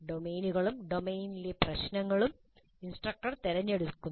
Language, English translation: Malayalam, The domain as well as the problems in the domain are selected by the instructor